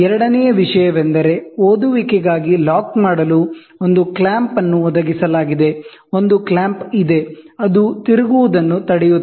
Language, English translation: Kannada, Second thing, a clamp is provided to lock for the reading, ok, there is a clamp, which tries to try, and then which prevents it from rotating